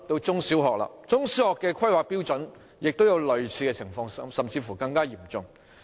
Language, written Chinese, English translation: Cantonese, 中、小學的規劃標準也有類似情況，甚至更嚴重。, Similar and even more serious problems are found in the planning standards for secondary and primary schools